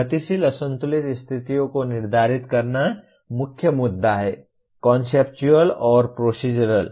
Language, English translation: Hindi, Determine dynamic unbalanced conditions is the main issue Conceptual and procedural